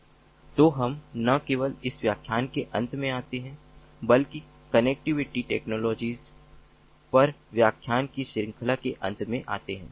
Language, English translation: Hindi, so we come to an end not only of this lecture but also the series of lectures on connectivity technologies